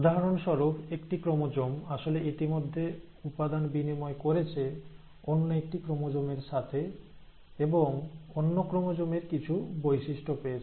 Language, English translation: Bengali, So for example, this one chromosome is actually, it has already exchanged material with the other chromosome, and it has received some features of the other chromosome